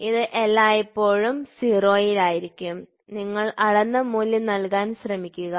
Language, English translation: Malayalam, So, it is always in 0; or you try to put a measured value